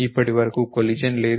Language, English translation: Telugu, So, far no collision